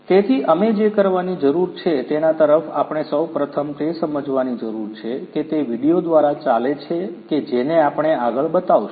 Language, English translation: Gujarati, So, we need to what we need to do we need to really first understand what is going on through those videos that we are going to show you next